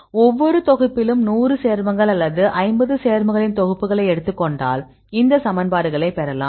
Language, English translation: Tamil, So, now we take the compound a set of compounds for example, a 100 compounds or 50 compounds in each group